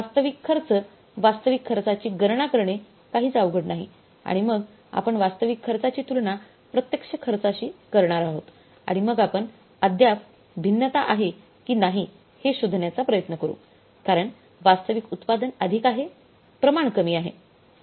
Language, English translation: Marathi, Actual cost calculating actual cost is not difficult at all and then we will be comparing the standard cost with the actual cost and then we'll try to find out still there is a variance or not because actual production is more, standard is less